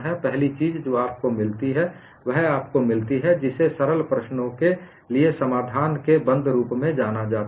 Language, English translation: Hindi, First thing what you get is you get what is known as closed form solution for simple problems